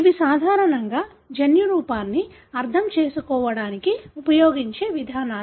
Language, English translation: Telugu, So, these are the approaches generally being used to understand the genotype